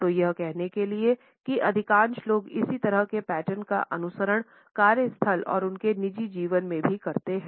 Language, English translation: Hindi, So, to say that the majority of the people follow similar patterns at workplace and in their personal lives also